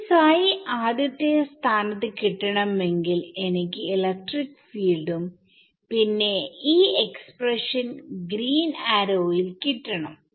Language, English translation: Malayalam, Yeah so, to get psi in the first place, I need electric fields and this expression over here in the green arrow